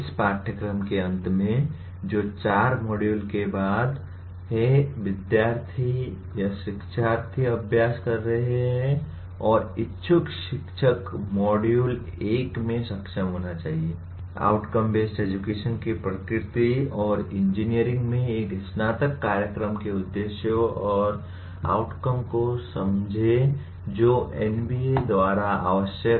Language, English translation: Hindi, At the end of this course, that is after the 4 modules, the students, here the learners are practicing and aspiring teachers should be able to in module 1 understand the nature of outcome based education and objectives and outcomes of an undergraduate program in engineering as required by NBA